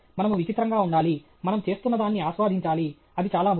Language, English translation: Telugu, We have to freak out, we have to enjoy what we are doing; that’s very important